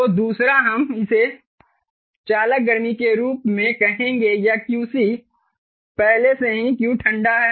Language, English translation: Hindi, so the second one, we will call it as the conduction heat, or q cond